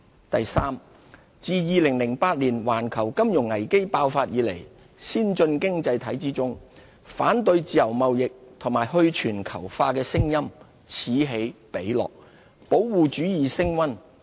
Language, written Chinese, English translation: Cantonese, 第三，自2008年環球金融危機爆發以來，先進經濟體之中，反對自由貿易及去全球化的聲音此起彼落，保護主義升溫。, Third since the outbreak of the global financial crisis in 2008 there have been incessant protests against free trade and calls for de - globalization in some advanced economies